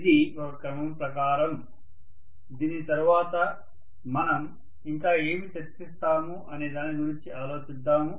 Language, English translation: Telugu, This is a sequence, after this we will worry about what further we will discuss, okay